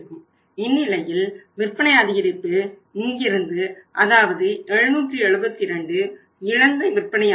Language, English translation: Tamil, 2% and in this case increased sales we are going to have from here is that is 772 is the lost sales